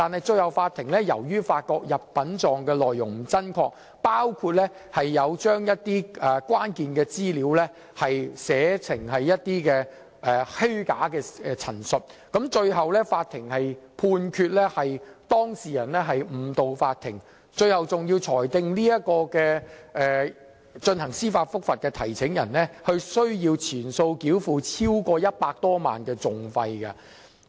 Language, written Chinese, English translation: Cantonese, 最後，法庭發覺入稟狀內容不真確，包括將一些關鍵資料寫成虛假陳述，判決當事人誤導法庭，並裁定有關司法覆核的提請人須全數繳付超過100多萬元的訟費。, Eventually the Court found the content of the statements untrue which included false representation of certain material information and ruled that the student had misled the Court and the applicant for judicial review should bear the litigation costs of over 1 million in full